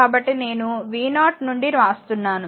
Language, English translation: Telugu, So, I am writing from v 0